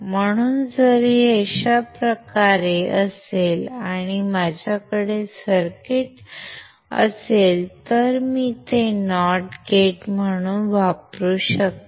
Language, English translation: Marathi, So, if this is in this way and if I have the circuit, I can use it as a not gate